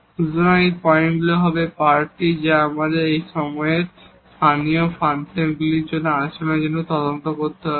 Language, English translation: Bengali, So, these points will be the candidates, which we need to investigate for the behavior the local behavior of the function at that point